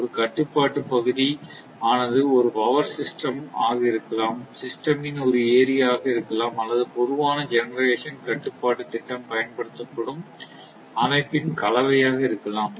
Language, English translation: Tamil, So, it may be a power system or maybe a part of a system or maybe a combination of system to which a common generation control scheme is applied